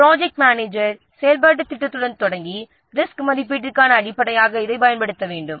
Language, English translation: Tamil, So, the project manager should start with the activity plan and use these are the basis for the risk assessment